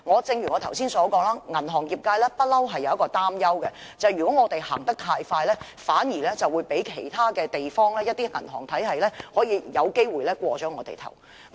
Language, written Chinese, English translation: Cantonese, 正如我剛才所說，銀行業界一直擔憂，便是如果我們走得太快，反而會被其他地方的銀行體系超越，我昨天也......, As I said just now the banking industry has all along been concerned that if we proceed with it too fast we would nevertheless be overtaken by the banking systems of other places . Yesterday I also